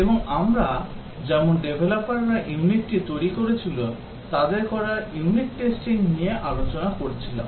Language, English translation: Bengali, And as we were discussing unit testing is done by the developers themselves who were developing the unit